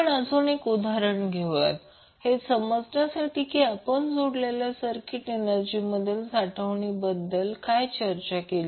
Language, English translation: Marathi, So let us now let us take one example to understand what we discussed related to energy stored in the coupled circuit